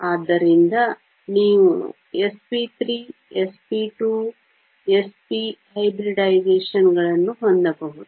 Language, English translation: Kannada, So, you can have s p 3, s p 2, s p hybridizations